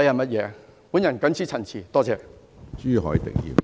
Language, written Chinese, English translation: Cantonese, 我謹此陳辭，多謝。, I so submit . Thank you